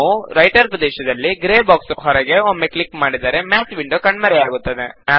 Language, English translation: Kannada, If we click once outside the gray box in the Writer area, the Math windows disappear